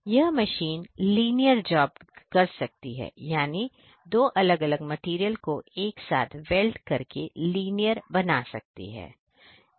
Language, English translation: Hindi, So, this particular machine is able to do linear jobs; that means, that two different materials it can weld together in a linear fashion